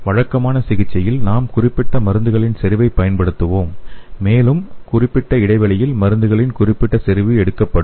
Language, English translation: Tamil, In the conventional therapy, we will be using the particular concentration of drug and that particular concentration of drug will be taken at specified intervals of time